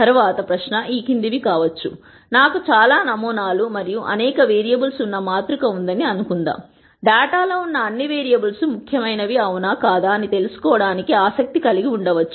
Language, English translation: Telugu, The next question might be the following, supposing I have a matrix where I have several samples and several variables, I might be interested in knowing if all the variables that are there in the data are important